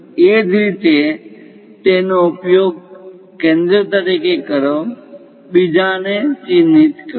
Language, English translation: Gujarati, Similarly, use that one as centre; mark other one